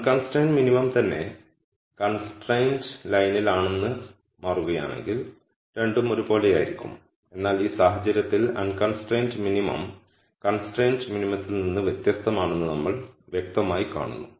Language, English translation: Malayalam, If it turns out that the unconstrained minimum itself is on the constraint line then both would be the same, but in this case we clearly see that the unconstrained minimum is di erent from the constrained minimum